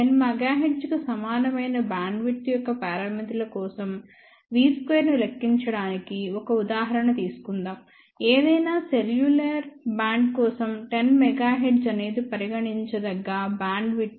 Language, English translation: Telugu, Let us take an example to calculate v n square for given parameters of bandwidth which is equal to 10 megahertz, 10 megahertz is reasonable bandwidth to assume for any cellular band